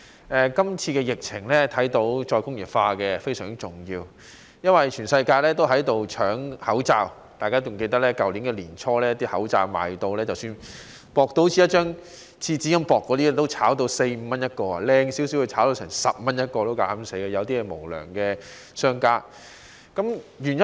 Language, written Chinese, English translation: Cantonese, 從今次疫情看到再工業化非常重要，因為全世界也在搶口罩，大家還記得去年年初，即使有如廁紙般薄的口罩，也被炒賣至四五元一個，而質素好一點的，有些無良商家竟膽敢炒賣至10元一個。, We can see from this epidemic that re - industrialization is highly important since the whole world was scrambling for masks . As Members may recall early last year even masks as thin as toilet paper were sold at 4 to 5 each and some unscrupulous businessmen blatantly pushed up the price of better quality masks to 10 each